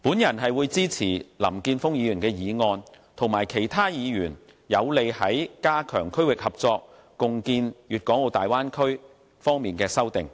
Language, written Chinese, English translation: Cantonese, 我會支持林健鋒議員的議案及其他議員有利於加強區域合作、共建粵港澳大灣區方面的修正案。, I support Mr Jeffrey LAMs motion and other Members amendments that are in line with strengthening regional cooperation and jointly establishing the Bay Area